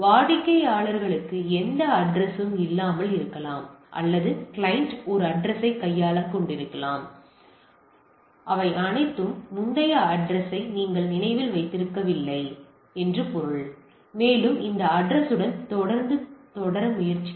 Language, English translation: Tamil, So, it may be the client may not have any address or the client may be having a address that all are not that all you remember the previous address and try to conform that way the still address it will continue with this address